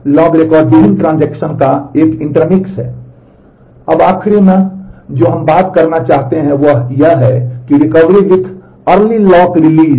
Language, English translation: Hindi, Now the last that ma we would like to talk about is Recovery with Early Lock Release